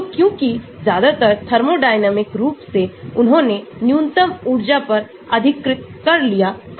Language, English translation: Hindi, so, because mostly thermodynamically they occupied the minimum energy